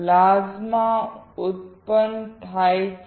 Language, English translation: Gujarati, Plasma is generated